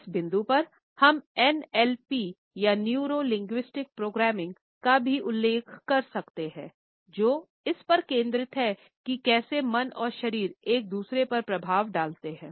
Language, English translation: Hindi, At this point, we can also refer to NLP or the Neuro Linguistic Programming again, which focuses on how mind and body influence each other